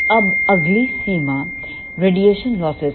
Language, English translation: Hindi, Now, next limitation is radiation losses